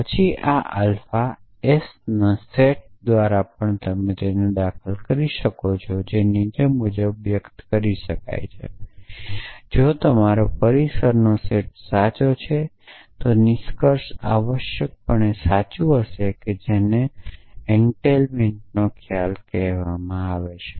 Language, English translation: Gujarati, Then, this alpha will also be entail by the set of sentence s which can be re express as the following if your set of premises are true then the conclusion will necessarily be true that is the notion of entailment